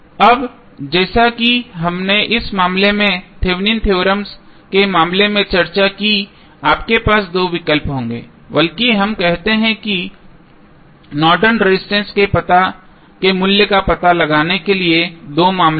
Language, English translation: Hindi, Now, as we discussed in case of Thevenin's theorem in this case also you will have two options rather we say two cases to find out the value of Norton's resistance